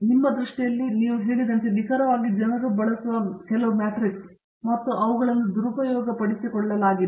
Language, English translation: Kannada, In your view, in fact, as exactly as you pointed out you know there are certain matrix that people use and sometimes those are even misused